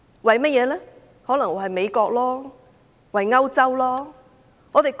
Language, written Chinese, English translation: Cantonese, 可能是為了美國和歐洲吧？, Perhaps something from the United States and Europe?